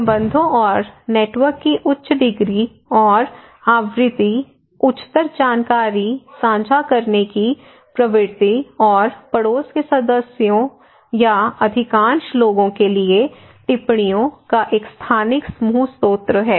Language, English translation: Hindi, So, higher the degree and frequency of ties and network, higher is the information sharing tendency and neighbourhood members or a spatial group source of observations for most of the people